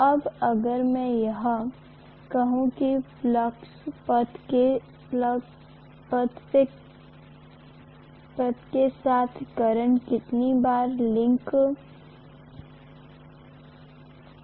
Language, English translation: Hindi, Now if I am saying that along the flux path how many times the current is being linked